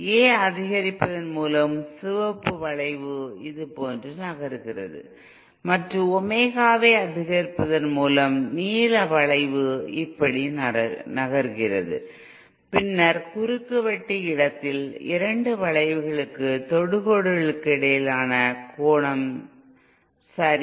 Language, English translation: Tamil, Suppose with increasing A, the red cure is moving like this and with increasing Omega the blue curve moves like this, then the angle between the tangents to the two curves at the point of intersection okay